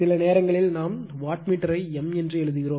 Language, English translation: Tamil, Sometimes we write that you your what you call wattmeter like m